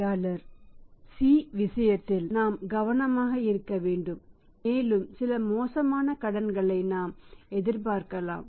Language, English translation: Tamil, In case of the C we have to be selective careful and we feel that we can expect some bad debts